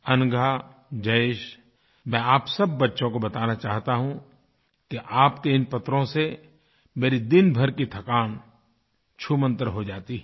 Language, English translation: Hindi, Let me tell Anagha, Jayesh & other children that these letters enliven me up after a hard day's work